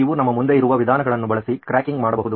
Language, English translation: Kannada, You can use the means in front of us and get cracking